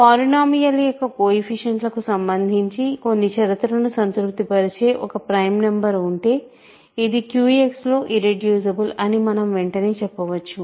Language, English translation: Telugu, If there is a prime number satisfying some conditions with respect to the coefficients of the polynomial, we can right away conclude that its irreducible in Q X